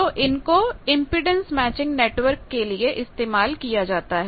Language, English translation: Hindi, So, they are used for this impedance matching network